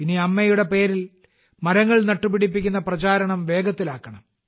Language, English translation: Malayalam, Now we have to lend speed to the campaign of planting trees in the name of mother